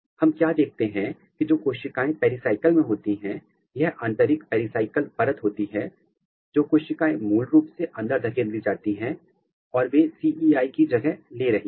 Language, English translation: Hindi, What we see that the cells which are in the pericycle, this is the inner pericycle layer the cells they basically are getting pushed in and they are taking the place of CEI